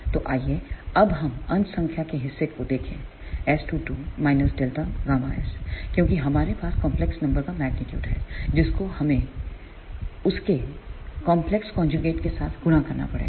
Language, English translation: Hindi, So, let us see now the numerator part S 2 2 minus delta gamma s, since we have magnitude of that it is a complex number so, that is to be multiplied by it is complex conjugate